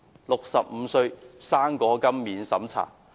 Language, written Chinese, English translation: Cantonese, 65歲'生果金'免審查！, Fruit grant without means test for applicants aged 65!